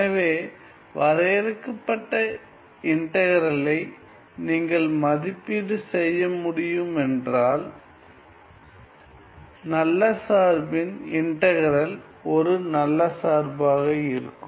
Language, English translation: Tamil, So, if you can evaluate the integral this is finite well, the integral of a good function is also good function right